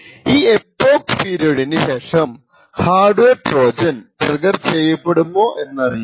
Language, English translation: Malayalam, Now beyond this epoch period we are not certain whether a hardware Trojan may get triggered or not